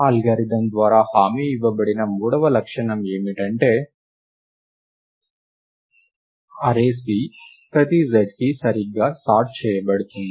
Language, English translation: Telugu, The third property that is the guaranteed by the algorithm is that, the array C is sorted right for every z